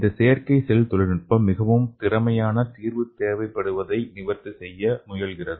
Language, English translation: Tamil, And this artificial cell technology seeks to address the need for more efficient temporary solution okay